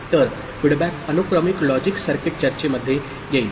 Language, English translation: Marathi, So, the feedback comes in the sequential logic circuit discussion